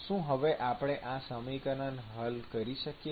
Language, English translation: Gujarati, Can we solve this equation now